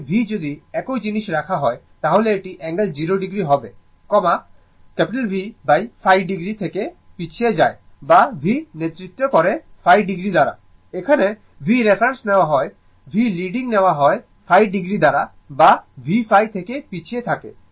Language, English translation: Bengali, Here also v if you put same thing it is I angle 0 degree, I lagging from V by phi degree or v leads I by phi degree, here also if v take reference v is leading I by phi degree or I lags from v phi